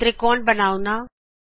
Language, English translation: Punjabi, Here the triangle is drawn